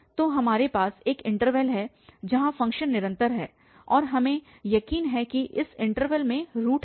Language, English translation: Hindi, So, we have a interval where the function is continuous and we are sure that this interval contains the root